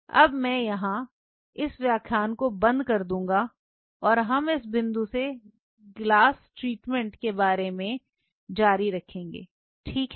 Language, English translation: Hindi, So, what I will do I will close in here and we will continue about this glass treatment from this point on, ok